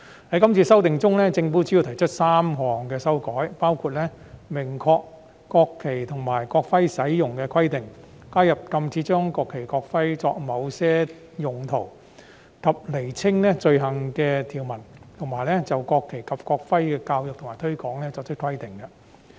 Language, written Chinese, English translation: Cantonese, 在今次修訂中，政府主要提出3項修正，包括明確國旗及國徽使用的規定；加入禁止將國旗、國徽作某些用途及釐清有關罪行的條文，以及就國旗及國徽的教育和推廣作出規定。, The Government has put forward three main amendments this time including making clear the requirements in respect of the use of the national flag and the national emblem adding the prohibitions on certain uses of the national flag and the national emblem and clarifying the provisions relating to offences of such behaviour and providing for the education and promotion of the national flag and national emblem